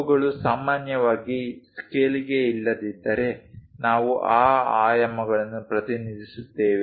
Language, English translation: Kannada, If those are not to up to scale then usually, we represent those dimensions